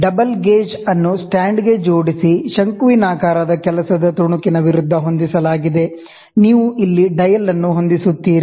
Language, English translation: Kannada, The dial gauge clamped to a stand is set against the conical work piece; you will set a dial here